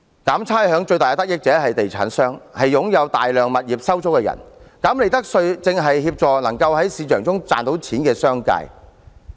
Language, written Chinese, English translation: Cantonese, 減差餉最大的得益者是地產商及擁有大量物業收租的人，減利得稅正是協助能在市場中賺到錢的商界。, Those who benefit the most from rates reduction are real estate developers and those who own large numbers of rental properties . The reduction of profits tax rate helps the business sector who profits from the market